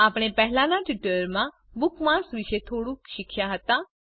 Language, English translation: Gujarati, In this tutorial, we will learn about Bookmarks